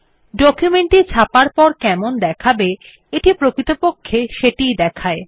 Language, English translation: Bengali, It basically shows how your document will look like when it is printed